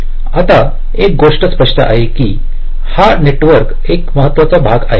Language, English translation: Marathi, now one thing is clear: that there is a majority major part of this net